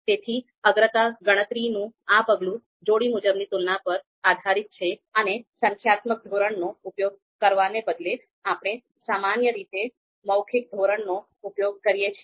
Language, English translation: Gujarati, So that is what you see here the priority calculation this step is about is based on pairwise comparisons, and instead of using a numerical scale, we typically use a verbal scale